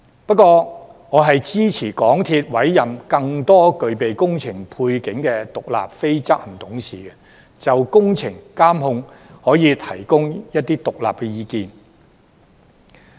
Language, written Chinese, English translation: Cantonese, 不過，我支持港鐵公司委任更多具備工程背景的獨立非執行董事，就工程監控提供一些獨立的意見。, However I support the appointment of more independent non - executive directors with a background in engineering to the MTRCL Board who can provide some independent views on the monitoring of projects